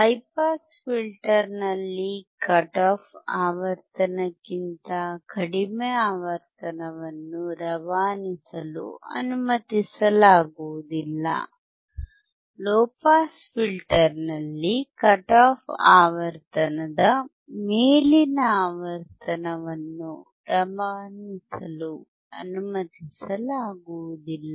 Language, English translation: Kannada, For the high pass filter, certain low frequency below the cut off frequency will not be allowed to pass; for the low pass filter the frequency above the cut off frequency will not be allowed to pass